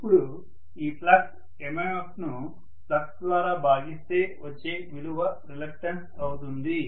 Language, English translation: Telugu, Now this flux MMF divided by flux is going to be the reluctance, right